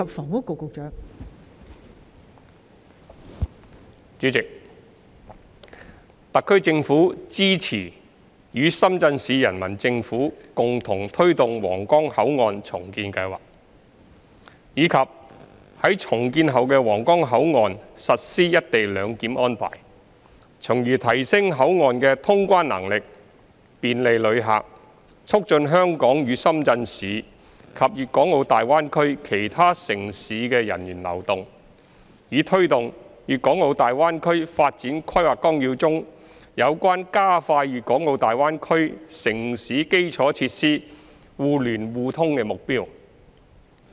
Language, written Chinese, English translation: Cantonese, 代理主席，特區政府支持與深圳市人民政府共同推動皇崗口岸重建計劃，以及於重建後的皇崗口岸實施"一地兩檢"安排，從而提升口岸的通關能力，便利旅客，促進香港與深圳市及粵港澳大灣區其他城市的人員流動，以推動《粵港澳大灣區發展規劃綱要》中有關加快粵港澳大灣區城市基礎設施互聯互通的目標。, Deputy President the SAR Government supports the joint promotion of the redevelopment plan of the Huanggang Port with the Shenzhen Municipal Peoples Government as well as the implementation of the co - location arrangement at the redeveloped Huanggang Port with a view to enhancing the clearance capacity of the port; facilitating visitors; promoting the mobility of people among Hong Kong Shenzhen and other municipalities in the Guangdong - Hong Kong - Macao Greater Bay Area; and achieving the goal of expediting the connectivity among the infrastructures of the municipalities in the Greater Bay Area under the Outline Development Plan for the Guangdong - Hong Kong - Macao Greater Bay Area